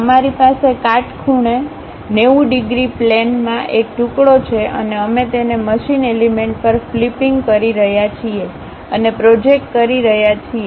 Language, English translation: Gujarati, Actually we have a slice in the perpendicular 90 degrees plane and that we are flipping and projecting it on the machine element